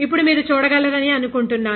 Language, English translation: Telugu, Now, I think you are able to see it